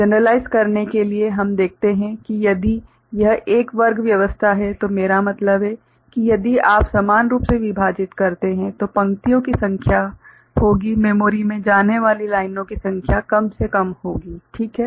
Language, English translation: Hindi, To generalize, we see if it is a square arrangement I mean if you equally divide then the number of rows will be the number of lines going to the memory will be the least, ok